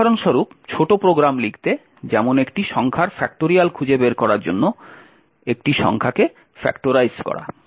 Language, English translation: Bengali, For example, to write small programs such as like factorizing a number of finding the factorial of a number, thank you